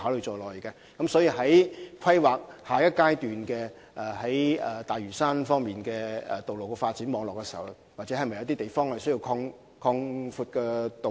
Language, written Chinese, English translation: Cantonese, 在大嶼山下階段的道路發展網絡進行規劃時，有些地方是否須擴闊道路？, When planning is undertaken for the next stage of development of road network in Lantau should the roads in some places be widened?